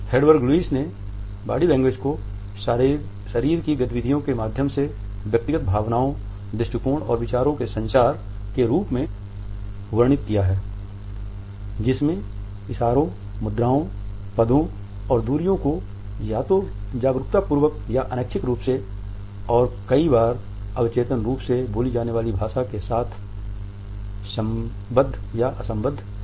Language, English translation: Hindi, Hedwig Lewis has described body language as “the communication of personal feelings, emotions, attitudes and thoughts through body movements; gestures, postures, positions and distances either consciously or involuntarily, more often subconsciously and accompanied or unaccompanied by the spoken language”